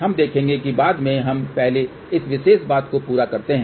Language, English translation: Hindi, We will see that later on let us first complete this particular thing now